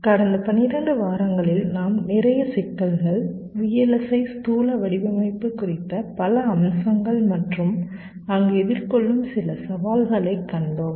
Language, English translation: Tamil, so over the last to vlsi we have seen lot of issues, lot of aspects on vlsi physical design and some of the challenges that are faced there in